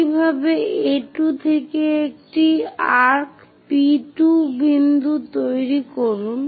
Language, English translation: Bengali, Similarly, from A2 make an arc P2 point